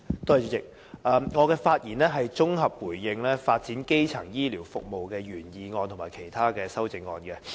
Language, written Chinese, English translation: Cantonese, 主席，我的發言是綜合回應"發展基層醫療服務"的議案及其他修正案。, President I speak in response to the motion on Developing primary healthcare services and its amendments